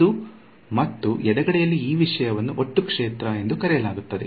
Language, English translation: Kannada, So, that and on the left hand side this thing over here is what is called the total field